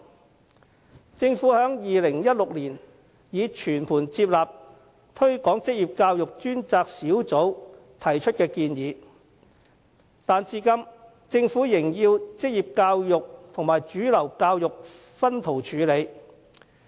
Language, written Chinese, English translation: Cantonese, 雖然政府已於2016年全盤接納推廣職業教育專責小組提出的建議，但政府至今仍把職業教育和主流教育分開處理。, Although in 2016 the Government already took on board all of the recommendations made by the Task Force on Promotion of Vocational Education vocational education and mainstream education is still being dealt with separately